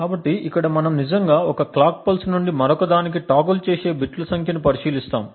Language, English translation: Telugu, So here we actually look at the number of bits that toggle from one clock pulse to another